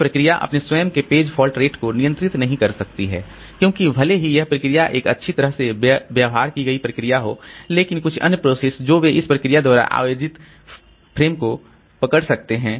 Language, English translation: Hindi, A process cannot control its own page fault rate because even if this process is a well behaved process, some other processes they may grab the frames held by this process